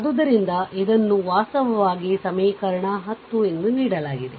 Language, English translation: Kannada, So, this is actually given as equation 10